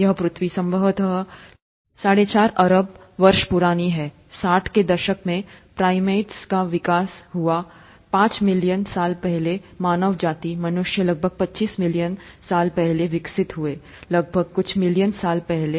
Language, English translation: Hindi, This earth is probably four point five billion years old, primates developed about sixty five million years ago, mankind, humans developed about fifty million years ago round about that some million years ago